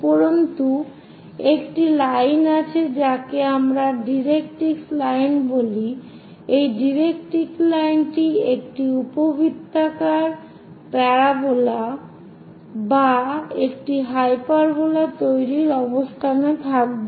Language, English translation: Bengali, And there is a line which we call directrix line, about this directrix line one will be in a position to construct an ellipse parabola or a hyperbola